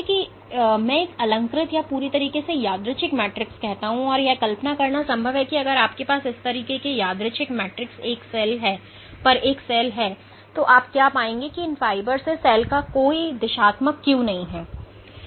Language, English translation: Hindi, So, what I would call a nonaligned or a completely random matrix and it is possible to envision that if you have a cell sitting on this kind of a random matrix, what you would find is the cell has no directional cue from these fibers